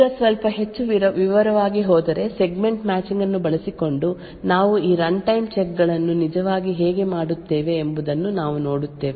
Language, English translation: Kannada, Now going a bit more into detail we would see how we actually do this runtime checks using Segment Matching